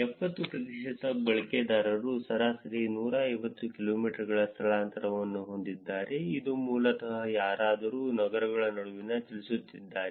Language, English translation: Kannada, 70 percent of the users have an average displacement of at most 150 kilometers, which is basically somebody moving between cities